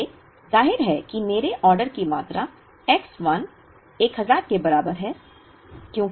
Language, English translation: Hindi, So, obviously my order quantities are X 1 equal to 1000